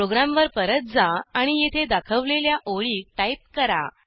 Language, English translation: Marathi, Now move back to our program and type the lines as shown here